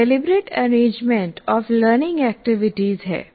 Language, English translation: Hindi, It is a deliberate arrangement of learning activities